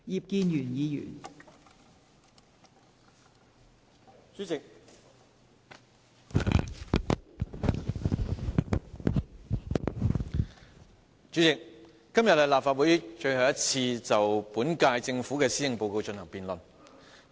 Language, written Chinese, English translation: Cantonese, 代理主席，今天是立法會最後一次就本屆政府的施政報告進行辯論。, Deputy President today is the last time for the Legislative Council to have a debate on the policy address of the current - term Government